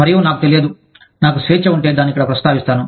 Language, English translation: Telugu, And, i do not know, if i have the liberty, to mention it here